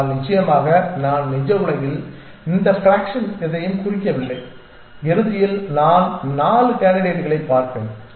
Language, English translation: Tamil, But of course, in the real world these fraction do not mean anything I in the end I will end up seeing 4 candidates